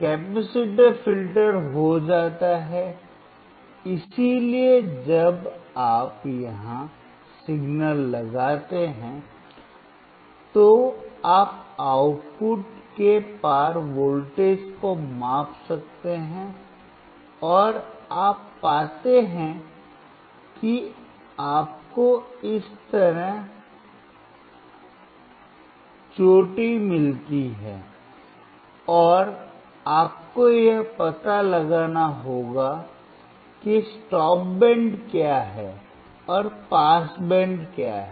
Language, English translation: Hindi, Capacitor becomes filter, so when you apply signal here, then you can measure the voltage across output, and you find that you get the peak like this, and, you have to find what is a stop band and what is a pass band